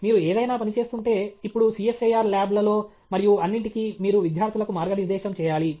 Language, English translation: Telugu, If you are working in any… now even in CSIR labs and all that, you will have to guide students